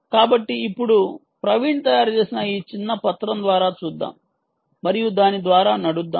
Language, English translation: Telugu, so now, um, let us go through this little document which praveen has prepared and let us run through it